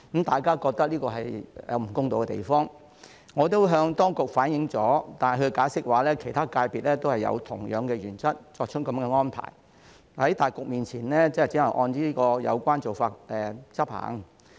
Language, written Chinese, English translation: Cantonese, 大家都覺得這裏有不公道的地方，我也向當局反應過，但當局的解釋是其他界別亦是按同樣的原則，作出這樣的安排，在大局面前，只能按有關做法執行。, We all find this somewhat unfair and I have also reflected the same to the authorities . Yet the authorities have explained that the same arrangement is made to other FCs in accordance with the same principle and we could only adopt the relevant approach taking the overall situation into account